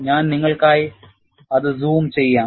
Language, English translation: Malayalam, So, I will zoom it for you